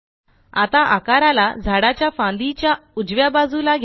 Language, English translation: Marathi, Now move the shape to the right branch of the tree